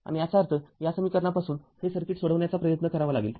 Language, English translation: Marathi, And that means, from this equation we have to try to solve this circuit